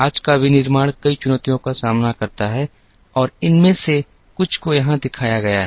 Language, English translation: Hindi, Today’s manufacturing faces several challenges and some of these are shown here